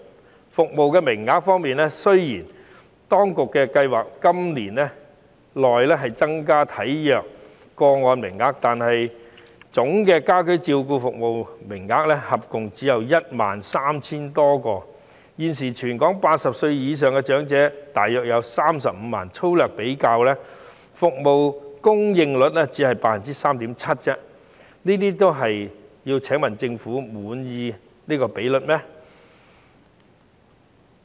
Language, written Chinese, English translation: Cantonese, 在服務名額方面，雖然當局計劃在今年內增加體弱個案的名額，但總家居照顧服務名額合共只有 13,000 多個，而現時全港80歲以上長者大約有35萬人，粗略計算，服務供應率只有 3.7%， 請問政府對於這比率又是否滿意呢？, In terms of service places even though the authorities have a plan to increase the number of places for frail cases within this year the total number of home care service places is just over 13 000 when there are approximately 350 000 elderly persons aged 80 or above in the whole territory . The service provision rate roughly calculated is only 3.7 % . May I ask the Government whether it is satisfied with this rate?